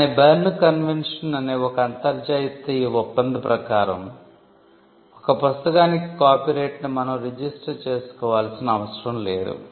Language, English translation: Telugu, But because of an international arrangement called the Berne convention it is not necessary to get a registration of a copyright to enforce it